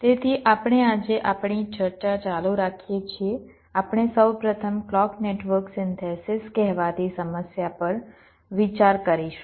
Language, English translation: Gujarati, today we shall be considering first the problem of the so called clock network synthesis